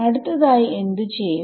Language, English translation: Malayalam, What do I write next